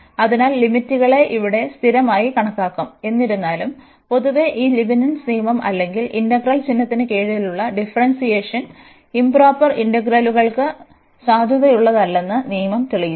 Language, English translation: Malayalam, So, the limits will be treated as a constant here though one should note that in general this Leibnitz rule or the differentiation under integral sign, which the rule we have proved that is not valid for improper integrals